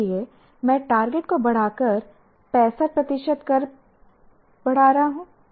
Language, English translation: Hindi, So I raise the target, enhance the target to 65%